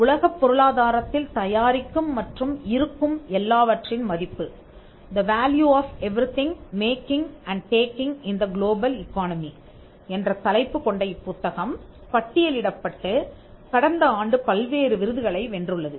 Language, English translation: Tamil, She has also recently written another book called the value of everything making and taking in the global economy, which is been shortlisted and which has won various awards last year